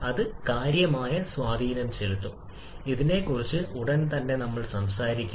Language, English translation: Malayalam, That can have significant impact we shall we talking about this one also shortly